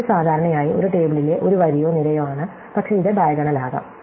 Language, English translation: Malayalam, It is usually by a row or a column in a table, but it could be by diagonal also